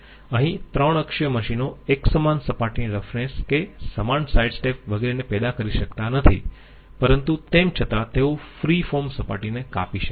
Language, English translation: Gujarati, Here, 3 axis machines cannot produce uniform surface roughness uniform sidestep and uniform surface roughness, et cetera, but still they can cut free form surfaces okay